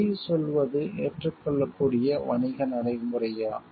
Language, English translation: Tamil, Is lying and acceptable business practice